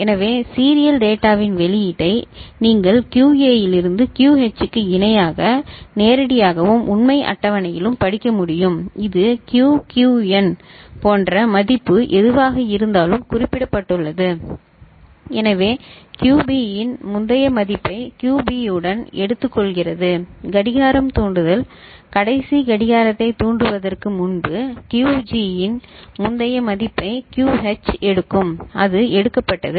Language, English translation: Tamil, So, this is how the serial data in comes and output you can read from QA to QH parallelly directly and in the truth table also it is mentioned like this Qxn whatever is the value – so, QB takes the previous value of QA with the clock trigger ok, QH takes the previous value of QG just before the last clock trigger whatever the value was that is taken